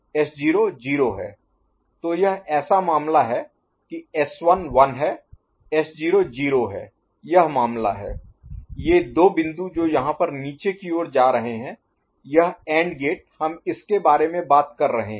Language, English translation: Hindi, So, this is the case it happens S1 is 1 here, S naught is 0 this is the case these two points that is coming downward over here so, this is this AND gate we are talking about ok